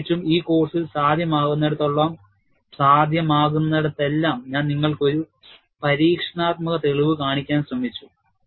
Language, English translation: Malayalam, Particularly, in this course, wherever possible, I have tried to show you an experimental evidence